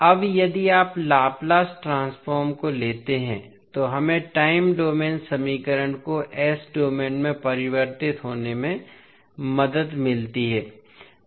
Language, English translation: Hindi, Now, if you take the Laplace transform we get the time domain equation getting converted into s domain